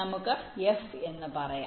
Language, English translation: Malayalam, lets say f